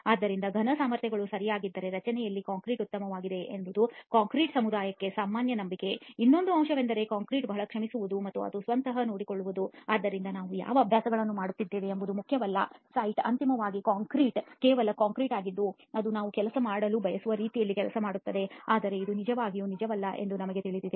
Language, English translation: Kannada, So if the cube strengths are okay, then concrete in the structure is fine is the general belief in the concrete community, another aspect is concrete is very forgiving and it will take care of itself, so it does not matter what practises we do on the site ultimately the concrete is just concrete it should work whichever way we wanted to work, but we know that this is not really true